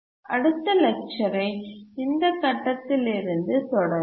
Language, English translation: Tamil, We will continue from this point in the next lecture